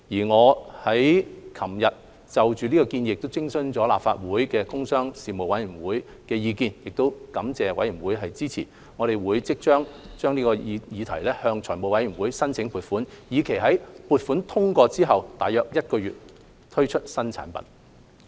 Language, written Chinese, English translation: Cantonese, 我剛於昨日就建議徵詢立法會工商事務委員會，並感謝事務委員會的支持，且即將向財務委員會申請撥款，以期在撥款通過後約1個月推出新產品。, I just consulted the Panel on Commerce and Industry of the Legislative Council yesterday and am grateful for its support . We will soon seek the Finance Committees approval for funding with a view to rolling out the new product around one month after the funding approval